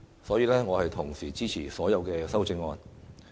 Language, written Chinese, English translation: Cantonese, 所以，我同時支持所有修正案。, Therefore I support all the amendments